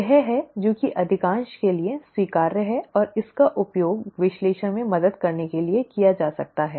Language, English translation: Hindi, That is that is acceptable to most and that can be used to help in the analysis